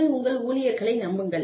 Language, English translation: Tamil, Trust your employees